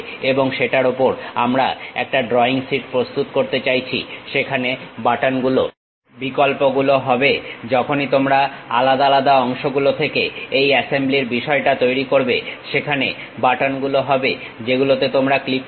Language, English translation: Bengali, And over that, we want to prepare a drawing sheet, there will be buttons options once you create this assembly thing from individual parts, there will be buttons which you click it